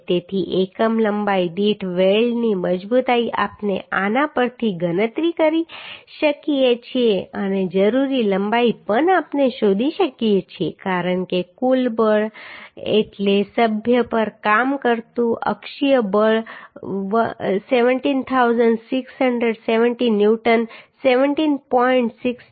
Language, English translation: Gujarati, 33 newton per millimetre So strength of weld per unit length we can calculate from this and required length also we can find out because the total force means axial force acting on the member is 17670 newton 17